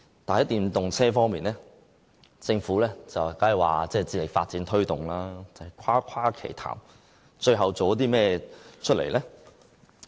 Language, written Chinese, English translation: Cantonese, 但在電動車方面，政府雖然說會致力發展推動，但只是誇誇其談，最後做了甚麼？, Besides the Government always brags about its efforts in developing and promoting electric vehicles . But what it has done then?